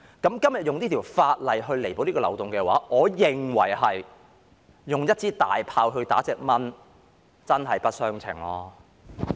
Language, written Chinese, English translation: Cantonese, 今天用此項法例彌補這個漏洞的話，我認為猶如用一門大炮打一隻蚊子，真是不相稱。, The use of this piece of legislation to plug this loophole in my view is just like shooting a mosquito with a cannon . It is really disproportionate